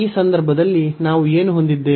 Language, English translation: Kannada, So, in this case what do we have